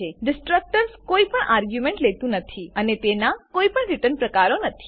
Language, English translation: Gujarati, A destructor takes no arguments and has no return types